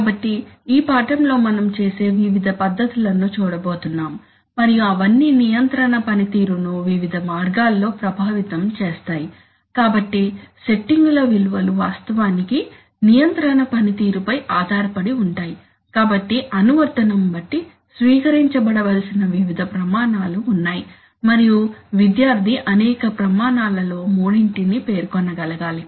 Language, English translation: Telugu, So in this lesson we are going to look at various methods of doing that and all of them will affect control performance in various ways, so what will be the values of the settings actually depends on the control performance, so there are various criteria which can be adopted depending on the application and the student should be able to state let us say three of many criteria